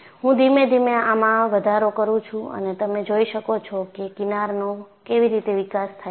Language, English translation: Gujarati, I slowly increase and you could see how the fringes are developed